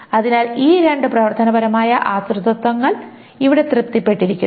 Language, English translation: Malayalam, So these two functional dependencies are satisfied here and this functional dependency is satisfied here